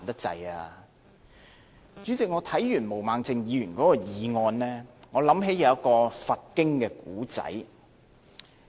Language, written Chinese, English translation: Cantonese, 主席，我看完毛孟靜議員的議案，想起一個佛經故事。, President after going through the motion of Ms Claudia MO I think of a story from the Buddhist scriptures